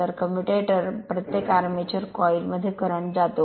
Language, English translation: Marathi, So, commutator serves to reverse the current right in each armature coil